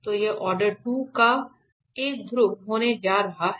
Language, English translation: Hindi, So, this is going to be a pole of order 2